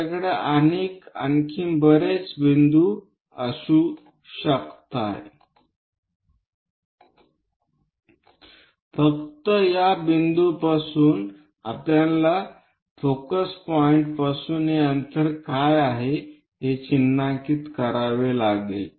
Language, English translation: Marathi, We can have many more points, only thing is from this point we have to mark what is this distance from focus point make an arc